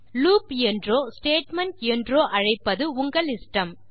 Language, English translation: Tamil, You can choose to call it a loop or a statement